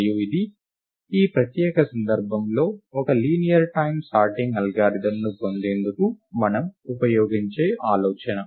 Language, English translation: Telugu, And this is an idea that we use to obtain a linear time sorting algorithm in this special case